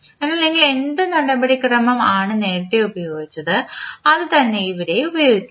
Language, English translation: Malayalam, Now, what procedure we followed previously we will just use that procedure